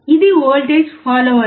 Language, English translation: Telugu, This is a voltage follower